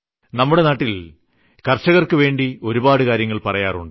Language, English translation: Malayalam, A lot is being said in the name of farmers in our country